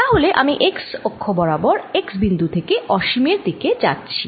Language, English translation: Bengali, so i am moving from a point x to infinity along the x axis